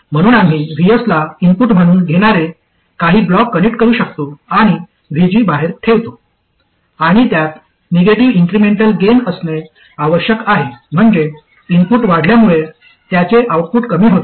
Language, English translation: Marathi, So we can connect some block that takes VS as input and puts out VG and it must have a negative incremental gain meaning its output reduces as the input increases